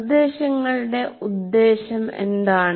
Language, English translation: Malayalam, And what is the purpose of instruction